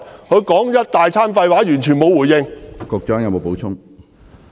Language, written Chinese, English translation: Cantonese, 他說了一大堆廢話，完全沒有回應。, He talked a lot of nonsense and did not respond to my question at all